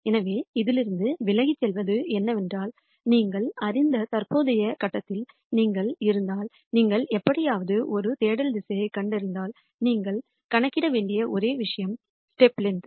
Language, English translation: Tamil, So, the key take away from this is that if you are at a current point which you know and if you somehow gure out a search direction, then the only thing that you need to then calculate is the step length